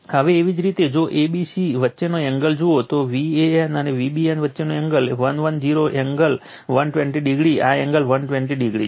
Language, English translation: Gujarati, Now, if you see the if you see the angle between a, b, and c, so angle between V a n and V b n 110 angle 120 degree, this angle is 120 degree right